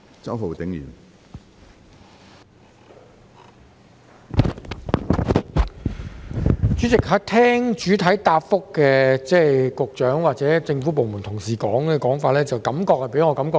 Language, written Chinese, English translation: Cantonese, 主席，聽罷主體答覆及局長與政府部門同事的說法，給我一種感覺是在互相推搪。, President after listening to the main reply and the remarks made by the Secretary and colleagues of government departments I have an impression that they are trying to pass the buck to one another